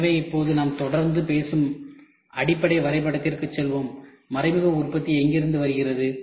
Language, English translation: Tamil, So, now, let us go back to the base diagram which we keep talking, where does indirect manufacturing come